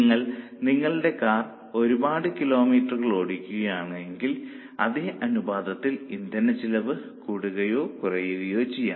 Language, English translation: Malayalam, As you run your car for more number of kilometers, the consumption of fuel will also increase in more or less the same proportion